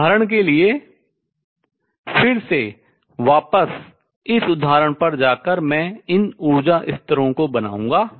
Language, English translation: Hindi, For example again going back to this example I will make these energy levels